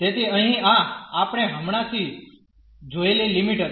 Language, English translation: Gujarati, So, here this was the limit we have just seen